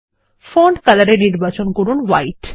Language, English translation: Bengali, In Font color choose White